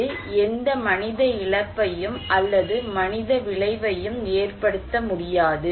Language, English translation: Tamil, It cannot cause any human loss or human effect